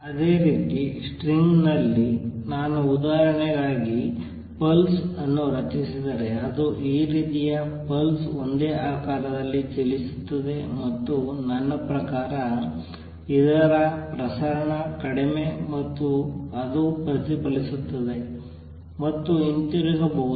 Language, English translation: Kannada, Similarly on a string, if I create a pulse for examples a pulse like this it travels down the same shape and this, what I mean it is dispersion less and that it may get reflected and come back